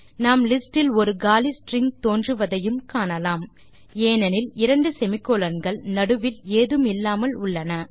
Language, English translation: Tamil, We can also observe that an empty string appears in the list since there are two semi colons without anything in between